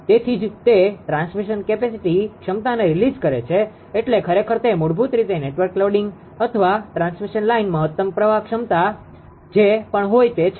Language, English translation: Gujarati, So, that is why it release transmission capacity means actually it is basically that network loading or transmission line maximum carrying current carrying capacity whatever it has